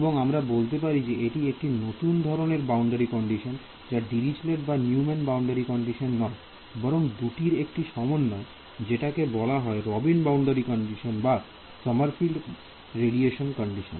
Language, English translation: Bengali, And, we say that this is a new kind of boundary condition not Dirichlet not Neumann, but a combination of the two which is called the Robin boundary condition or Sommerfield radiation condition